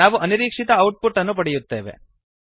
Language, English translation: Kannada, We get an unexpected output